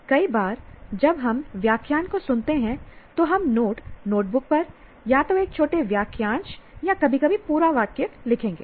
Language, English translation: Hindi, Many times when we listen to the lecture, we write a little, we'll scribble on the notebook, either a small phrases or sometimes complete sentence